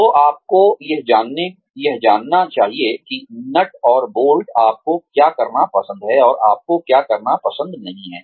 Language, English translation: Hindi, So, you must identify, the nuts and bolts of, what you like to do, and what you do not like to do